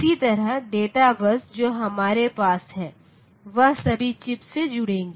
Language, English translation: Hindi, So, data bus will connect to all the chips